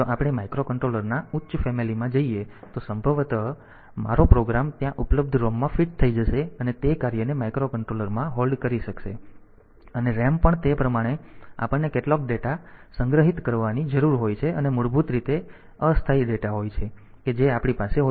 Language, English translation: Gujarati, So, we can have if we take if we go for a higher family of microcontroller then possibly my program will fit into the ROM that is available there and will be able to compare hold that task within the microcontroller itself, and the RAM also like how much of data that we need to store the basically the temporary data that we have so how much of those temporary data that we need to store